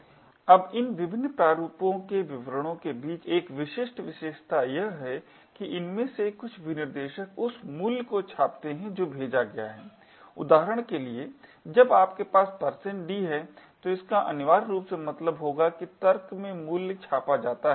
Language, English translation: Hindi, Now one distinguishing feature between these various formats specifiers is that some of these specifiers print the value that was passed for example when you have a %d it would essentially mean that the value in the argument gets printed